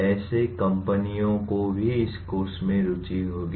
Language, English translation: Hindi, Such companies will also be interested in this course